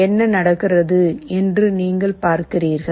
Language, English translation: Tamil, Now, let us see what is happening